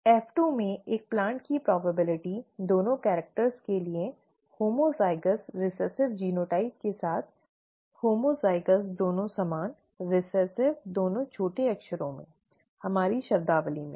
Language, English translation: Hindi, The probability of a plant in F2 with homozygous recessive genotype for both characters, ‘homozygous’ both the same, ‘recessive’ both small letters in our terminology